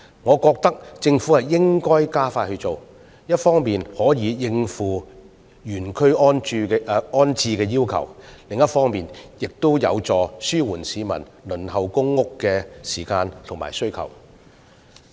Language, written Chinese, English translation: Cantonese, 我認為政府應加快落實相關工作，一方面可以應付原區安置的要求，而另一方面亦有助紓緩市民輪候公屋的時間和需求。, I think the Government should expedite the implementation of such initiatives to cope with requests for in - situ rehousing on the one hand and help ease peoples waiting time and demands for public rental housing PRH on the other hand